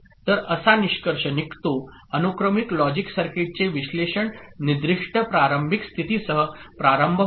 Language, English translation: Marathi, So to conclude, analysis of sequential logic circuit begins with specified assumed initial state